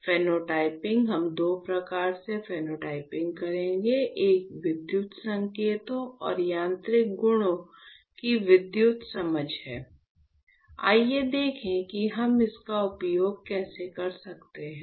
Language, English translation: Hindi, Phenotyping, we will do two types of phenotyping; one is the electrical understanding of electrical signals and the mechanical properties So, let us see how can we use this